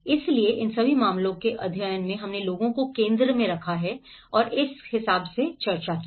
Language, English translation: Hindi, So, in all these case studies we have discussed about putting people in the centre